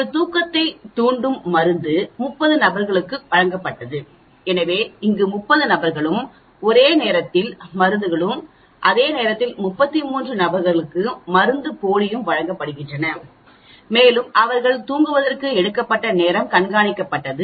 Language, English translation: Tamil, A sleep inducing drug was given to 30 subjects, so 30 subjects here and at the same time a placebo was given to 33 subjects we have it here actually and the time taken for them to get into the sleep was monitored